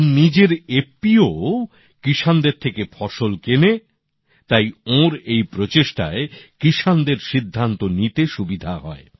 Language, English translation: Bengali, His own FPO also buys produce from farmers, hence, this effort of his also helps farmers in taking a decision